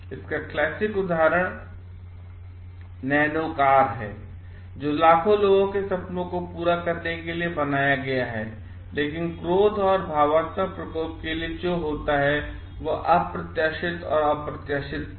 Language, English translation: Hindi, The classic example is of the nano car which is designed to fulfil the dreams of millions, but sometimes what happens for out bursts or unexpected and unpredictable